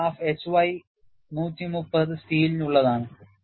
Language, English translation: Malayalam, And, this graph is for HY 130 steel